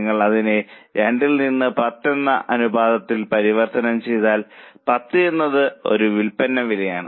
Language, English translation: Malayalam, If you convert it as a ratio 2 by 10, 10 is a selling price